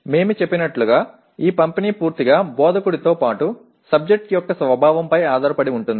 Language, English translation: Telugu, As we said this distribution completely depends on the instructor as well as the nature of the subject